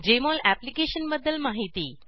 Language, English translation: Marathi, About Jmol Application